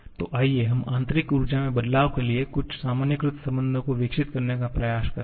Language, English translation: Hindi, So, let us try to develop some generalized relation for changes in internal energy